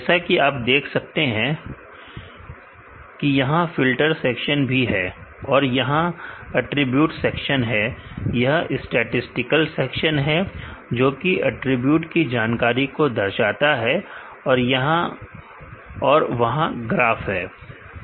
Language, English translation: Hindi, As you could see there is a filter section and, there is a attribute section and, there is a statistical section here, which displays the attribute information here and there is a graph